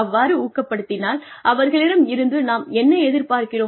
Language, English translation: Tamil, So, how will we encourage them, if they do, what we expect them to do